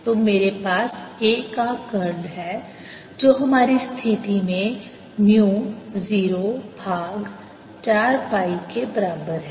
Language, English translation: Hindi, when i take curl of a, it gives me mu zero over four pi